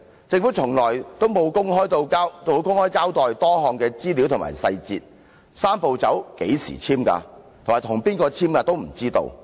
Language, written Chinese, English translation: Cantonese, 政府從沒有公開交代多項資料及細節，我們對"三步走"是何時簽署、與誰簽署也不知道。, The Government has never made public the information and details on various issues . We have no idea when the agreement concerning the Three - step Process was signed and with which parties the agreement was signed